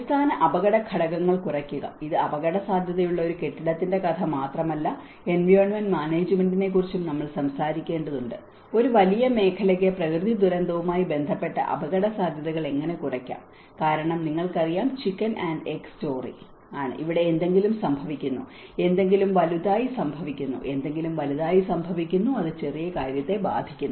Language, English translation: Malayalam, Reduce the underlying risk factors; and it is not just a story of a building which is prone to the hazard, it also we have to talk about the environmental management, how a larger sector can reduce the risks related to natural disaster because it is all a chicken and egg story you know something happens here, something happens big, something happens big it happens it affects the small thing